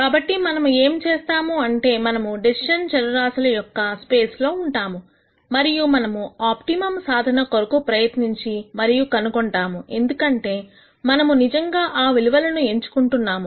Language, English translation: Telugu, So, what we are going to do is we are going to be in the space of decision variables and we are going to try and find an optimum solution because those are the values that we are actually choosing